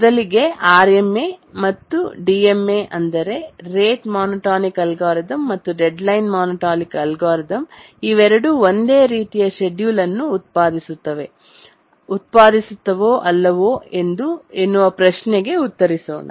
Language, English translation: Kannada, First let's answer this question that do RMA and the DMA, rate monotonic algorithm and the deadline monotonic algorithm, both of them do they produce identical schedule under some situations